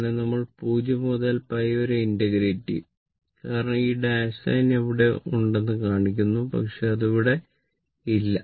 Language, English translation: Malayalam, But you will integrate from 0 to pi because, this dash line is shown that if it is there, but it is not there it is not there